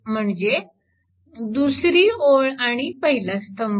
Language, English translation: Marathi, So, this is the first row and this is the first column